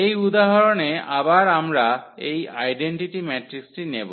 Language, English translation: Bengali, In this example again we will take this identity matrix